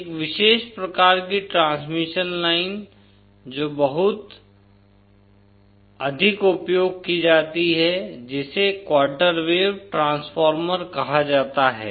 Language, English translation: Hindi, A special type of transmission line which is very commonly used is what is called as a quarter wave Transformer